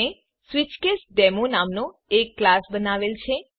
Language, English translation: Gujarati, I have created a class named SwitchCaseDemo